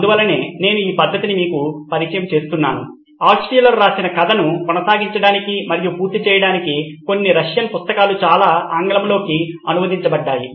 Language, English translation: Telugu, So this is why I am introducing you to this method, to continue and finish up the story Altshuller wrote many, many books in Russian Few of them were translated to English